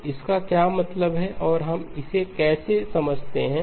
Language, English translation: Hindi, So what does this mean and how do we understand it